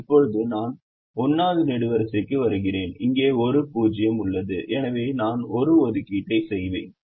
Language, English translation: Tamil, so if i look at the first column, the first column has only one zero and therefore i can make an assignment here